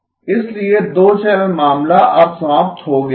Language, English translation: Hindi, So the two channel case is now over